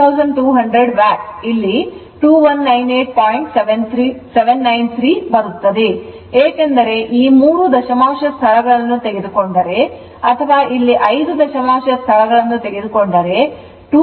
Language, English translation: Kannada, 793 because this decimal place is truncated if you take up to three decimal places or here you take up to five decimal places